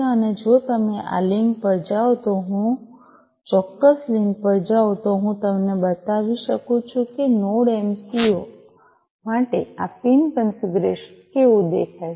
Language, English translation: Gujarati, And if you go to if I go to this link if I go to this particular link, I can show you how this pin configuration looks like for the Node MCU